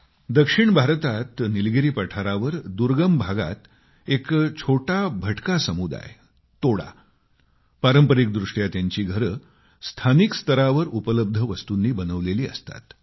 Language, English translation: Marathi, In the isolated regions of the Nilgiri plateau in South India, a small wanderer community Toda make their settlements using locally available material only